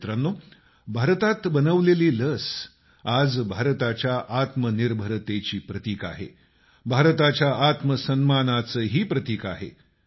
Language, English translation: Marathi, today, the Made in India vaccine is, of course, a symbol of India's selfreliance; it is also a symbol of her selfpride